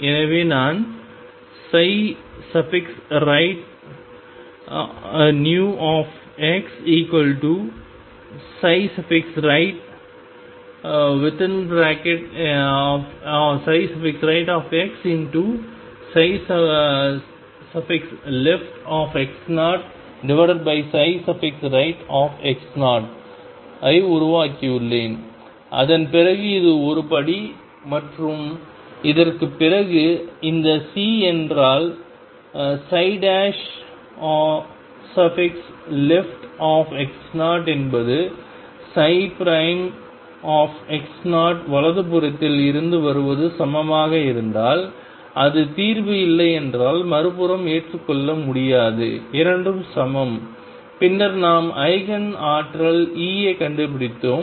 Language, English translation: Tamil, So, I have made psi right new x equals psi right x times psi left x 0 divided by psi right x 0 and then after that this is step one and after this, this C if psi prime left x 0 is same as psi prime x 0 coming from right if it is not the solution is not acceptable on the other hand if the 2 are equal then we have found the Eigen energy E